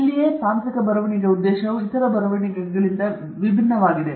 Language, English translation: Kannada, This is where again the purpose of technical writing differs from other forms of writing